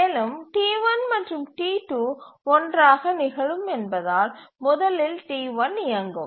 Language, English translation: Tamil, And since T1, T2, T3, T1, T2 occur together, first T1 will run